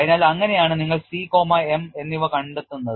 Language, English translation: Malayalam, So, that is how you find out the C and m